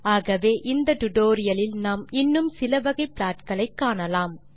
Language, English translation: Tamil, Hence in this tutorial we will be looking at some more kinds of plots